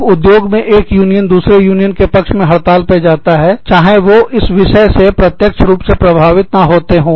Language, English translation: Hindi, When one union, goes on strike, to support another union, in the industry, even if they are not directly affected by the issue